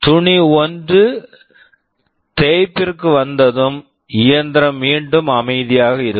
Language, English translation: Tamil, And when cloth 1 has come for drying, machine W is free again